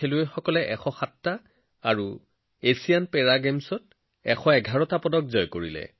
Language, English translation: Assamese, Our players won 107 medals in Asian Games and 111 medals in Asian Para Games